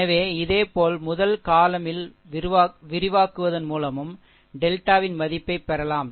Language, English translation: Tamil, So, similarly, your the value of delta may also be obtained by expanding along the first column